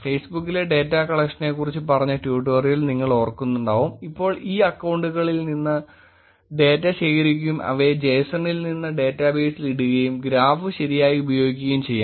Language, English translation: Malayalam, In Facebook if you remember in the tutorial we talked about data collection and so now collecting the data from these accounts, putting them into the database from the json and doing the graph right